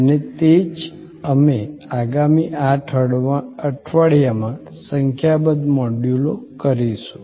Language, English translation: Gujarati, And that is what we will do over number of modules over the next 8 weeks